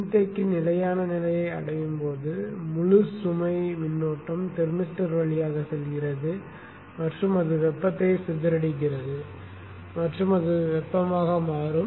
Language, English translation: Tamil, And as the capacity reaches steady state, the full load current is passing through the thermister and it is dissipating heat and it will become hot